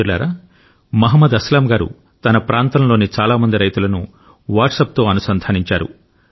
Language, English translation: Telugu, Friends, Mohammad Aslam Ji has made a Whatsapp group comprising several farmers from his area